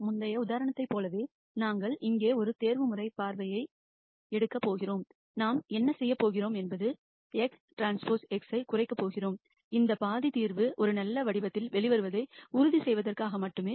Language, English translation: Tamil, Similar to the previous example we are going to take an optimization view here, what we are going to do is we are going to minimize x transpose x, this half is just to make sure the solution comes out in a nice form